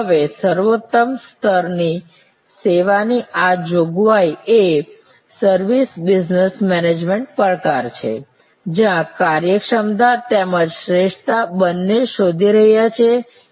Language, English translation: Gujarati, Now, this provision of the optimum level of service is the service business management challenge, where we are looking for both efficiency as well as optimality ((Refer Time